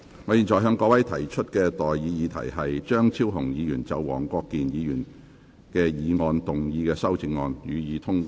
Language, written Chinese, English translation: Cantonese, 我現在向各位提出的待議議題是：張超雄議員就黃國健議員議案動議的修正案，予以通過。, I now propose the question to you and that is That the amendment moved by Dr Fernando CHEUNG to Mr WONG Kwok - kins motion be passed